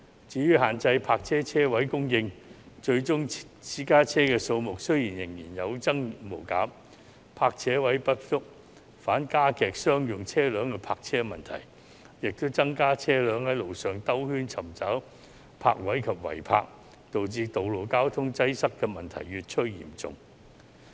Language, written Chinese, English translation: Cantonese, 至於限制泊車位供應，最終私家車數目仍然有增無減，泊車位不足，反而加劇商用車輛的泊車問題，亦增加車輛在路上繞圈尋找泊位及違泊，導致道路交通擠塞的問題越趨嚴重。, The number of private cars kept on rising despite the limited supply of parking spaces . On the contrary the shortage of parking spaces has aggravated the parking problem faced by commercial vehicles and increased the number of cars searching for parking spaces on the road and parked illegally which has made traffic congestion even worse